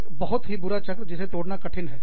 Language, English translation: Hindi, A very bad cycle, that is hard to break